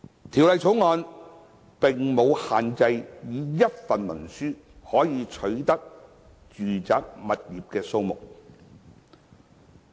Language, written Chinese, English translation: Cantonese, 《條例草案》並無限制以一份文書可取得的住宅物業數目。, There is no restriction under the Bill on the number of residential properties acquired under a single instrument